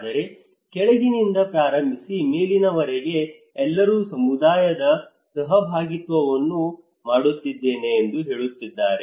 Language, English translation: Kannada, But starting from the bottom to the top bottom to the top, everybody is saying that I am doing community participations